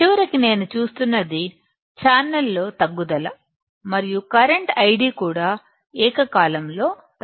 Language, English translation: Telugu, What I see is decrease in the channel and the current I D will also simultaneously decrease